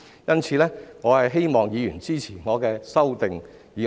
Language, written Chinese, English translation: Cantonese, 因此，我希望議員支持我的修正案。, As such I hope Honourable Members will support my amendment